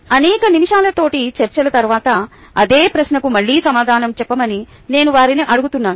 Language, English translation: Telugu, after several minutes of peer discussions, i ask them to answer the same question again